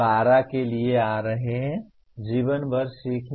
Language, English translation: Hindi, Coming to PO12, life long learning